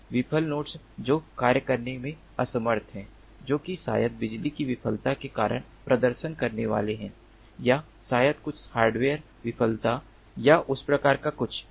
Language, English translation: Hindi, failed nodes, which are unable to perform the functions that they are supposed to ah perform, maybe due to power failure or maybe there there is some hardware failure or something of that sort